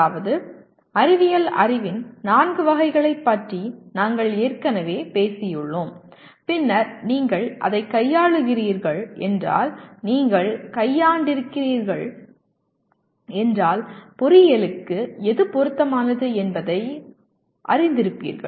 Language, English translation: Tamil, That means we have already talked about four categories of knowledge of science and then if you are dealing with that then you have also dealt with that, what is relevant to engineering as well